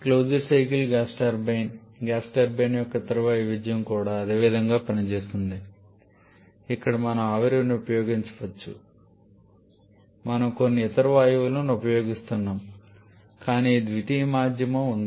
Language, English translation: Telugu, Closed cycle gas turbine the other variation of the gas turbine that also works in the same way where we may not be using steam we may be using some other gas but there is a secondary medium present